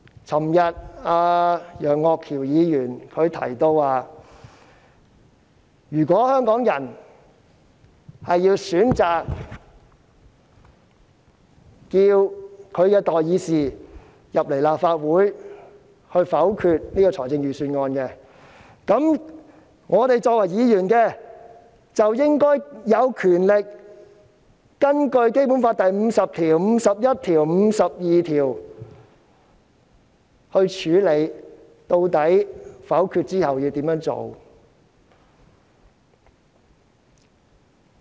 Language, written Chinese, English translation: Cantonese, 昨天，楊岳橋議員提到，如果香港人選擇要求其代議士在立法會否決這項預算案，我們作為議員，便應該有權根據《基本法》第五十條、第五十一條及第五十二條，決定否決之後應怎樣處理。, Yesterday Mr Alvin YEUNG mentioned that if Hongkongers choose to ask their representatives to veto this Budget in the Legislative Council we as Members should have the power to decide how to handle the aftermath of the veto in accordance with Articles 50 51 and 52 of the Basic Law